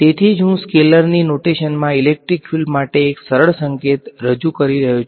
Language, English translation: Gujarati, So, that is why I am introducing a simpler notation for the electric field in terms of scalar